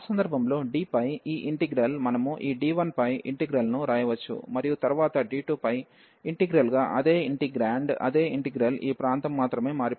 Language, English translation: Telugu, So, in that case this integral over D, we can write the integral over this D 1 and then the integral over D 2 the same integrant, same integral only this region has changed